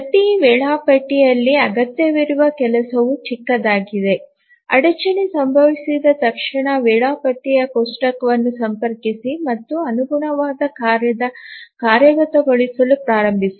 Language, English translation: Kannada, In each schedule the work required is small as soon as the interrupt occurs, just consults the schedule table and start the execution of the corresponding task